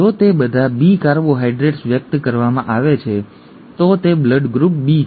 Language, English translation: Gujarati, If it is all B carbohydrates being expressed, it is blood group B